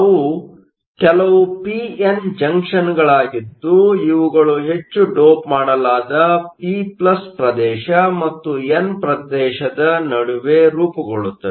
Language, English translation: Kannada, They are certain p n junctions that are formed between a heavily doped p+ region and an n region